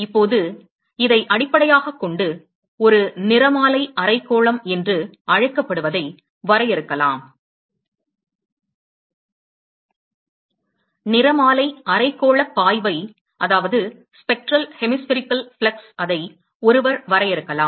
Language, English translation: Tamil, Now, based on this one could define, what is called a spectral, hemispherical; one could define a spectral hemispherical flux